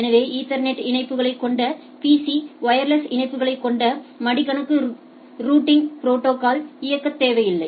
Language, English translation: Tamil, So, PC with Ethernet links, laptops with wireless links, does not need to run a routing protocols